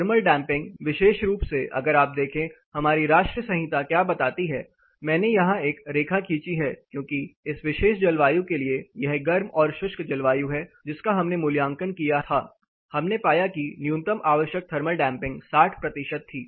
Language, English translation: Hindi, Thermal damping especially if you look at what you know our national code talks about I have drawn a line here, because for this particular climate it is hard and dry climate which we did the assessment the minimum required thermal damping was 60 percentage